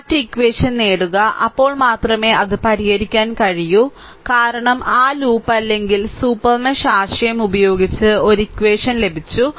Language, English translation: Malayalam, So, get that other equation then only I can solve it because using that loop or super mesh concept I got one equation